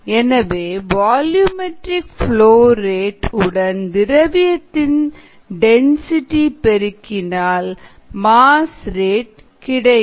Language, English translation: Tamil, therefore, if we multiply the volumetric flow rate by the density, we would get our mass rate, therefore f